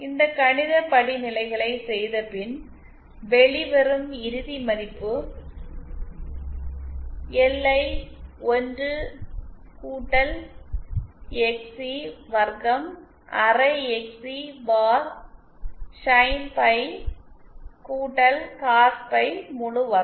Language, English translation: Tamil, e And then the final value that comes out after doing this mathematical derivation is LI 1 + XC square half XC bar Sin phi + Cos phi whole square